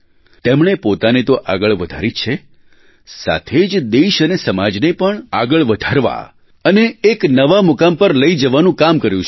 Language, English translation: Gujarati, Not only has she advanced herself but has carried forward the country and society to newer heights